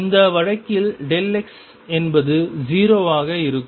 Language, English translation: Tamil, Where as delta x in this case is 0